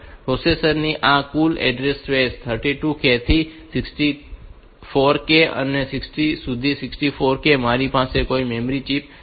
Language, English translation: Gujarati, In this total address space of the processor is 64K from 32K to 64K I do not have any memory chip